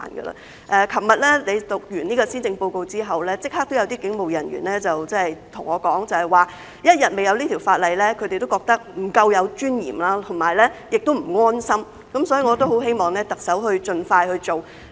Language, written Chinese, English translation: Cantonese, 昨日你宣讀完施政報告後，立刻有警務人員跟我說，只要一天還未有這項法例，他們仍感覺不夠尊嚴，亦不安心，所以我很希望特首盡快去做。, Some police officers said to me immediately after the Chief Executive delivered the Policy Address yesterday that they still did not feel dignified enough or reassured so long as such legislation was not in place . Therefore I very much hope that the Chief Executive will get this done as soon as possible